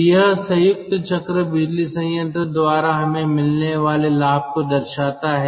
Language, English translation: Hindi, so this shows that this shows the ah advantage we get by combined cycle power plant